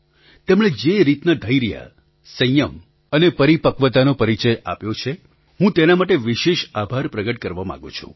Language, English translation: Gujarati, I am particularly grateful to them for the patience, restraint and maturity shown by them